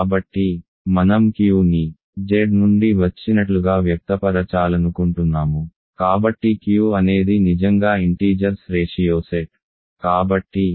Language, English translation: Telugu, So, I want to express Q as somehow coming from Z; so Q is really set of ratios of integers